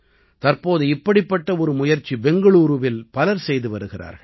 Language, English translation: Tamil, Nowadays, many people are making such an effort in Bengaluru